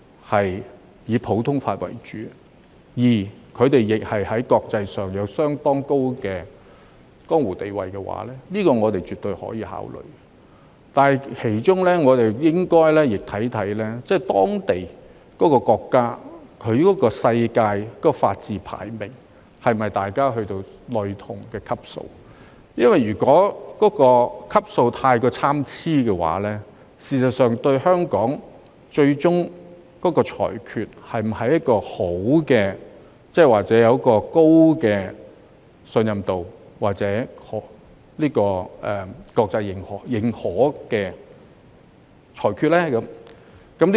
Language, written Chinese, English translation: Cantonese, 其他普通法適用地區的法官若在國際上有相當高的江湖地位，我們絕對可以考慮，但是我們亦應考慮有關國家的全球法治排名是否已達到類同的級數，因為如果級數太過參差，香港法院的裁決是否能保持高信任度或國際認可呢？, We can definitely consider appointing judges from other common law jurisdictions who are highly respectable in the international arena . Yet we should also consider whether the countries concerned have reached a comparable global ranking in terms of the rule of law . If the rankings are too far apart can the judgments of the courts of Hong Kong still command a high level of credibility and international recognition?